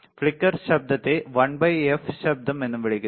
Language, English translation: Malayalam, Flicker noise is also called 1 by by f noise